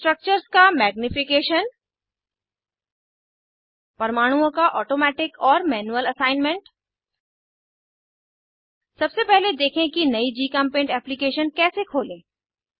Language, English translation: Hindi, Magnification of structures Automatic and manual assignment of atoms Lets first see how to open a new GChemPaint application